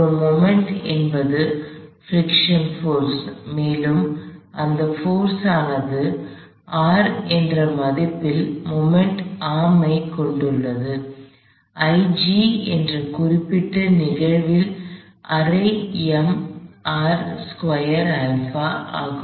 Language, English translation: Tamil, So, they do not cause a movement, the only force that causes a movement is the friction force and that friction force has a moment arm of value R, I G in this particular instance is half m R squared alpha